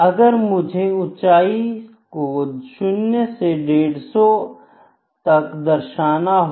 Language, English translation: Hindi, Let me say heights from 0 to 10, ok